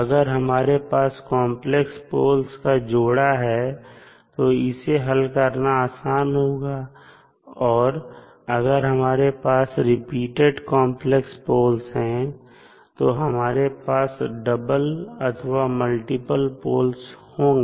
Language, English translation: Hindi, Now, pair of complex poles is simple, if it is not repeated and if it is repeated, then complex poles have double or multiple poles